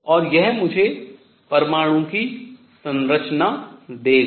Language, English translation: Hindi, And this would give me structure of atom